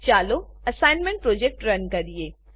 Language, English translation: Gujarati, Let us run the assignment project